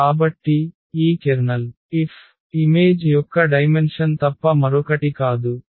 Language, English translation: Telugu, So, this kernel F is nothing but the dimension of the image F